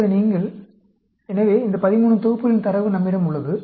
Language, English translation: Tamil, Now, you, so we have this 13 sets of data